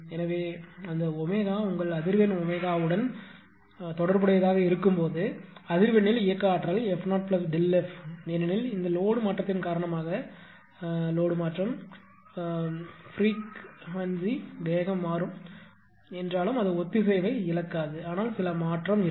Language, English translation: Tamil, So, in that case where that omega is related to your frequency omega to related to frequency therefore, kinetic energy at a frequency f 0 plus delta because, due to this change in load that due to this change in load right, the peak of speed will change although it will not lose synchronism, but some change will be there